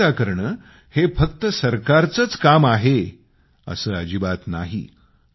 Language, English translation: Marathi, It is not for the government alone to maintain cleanliness